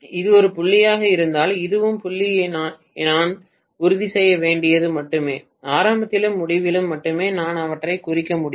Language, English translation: Tamil, Only thing I have to make sure this that if this is dot, this is also dot then only I can mark them at the beginning and end